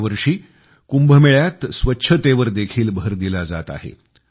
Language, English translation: Marathi, This time much emphasis is being laid on cleanliness during Kumbh